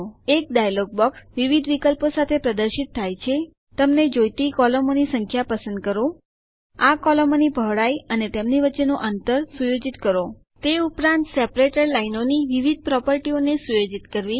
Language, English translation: Gujarati, A dialog box appears with various options selecting the number of columns you want, setting the width and spacing of these columns as well as setting the various properties of the separator lines